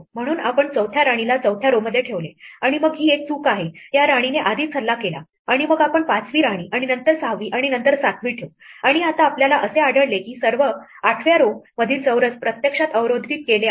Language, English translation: Marathi, So, we put a 4th queen on the 4th row, and then this is a mistake this should be already attacked by this queen and then we will place a 5th queen and then a 6th one and then a 7th one and now we find that all the squares in the 8th row are actually blocked